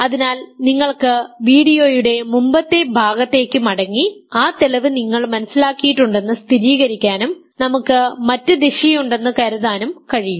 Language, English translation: Malayalam, So, that you can go back to the earlier part of the video and verify that you understand that proof now suppose we have the other direction